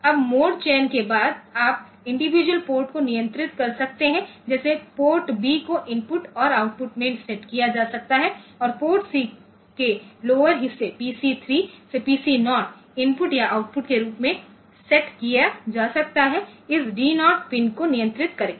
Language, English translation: Hindi, Now, after this after the mode selection; so you can control individual ports like port B can be set to input or output and port C lower part PC 3 to PC 0, they can be set as input or output by controlling this D 0 pin